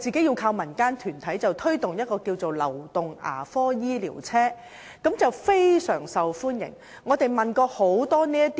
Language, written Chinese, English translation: Cantonese, 由民間團體提供流動牙科醫療車服務，相當受歡迎。, The mobile dental services provided by community groups are rather well received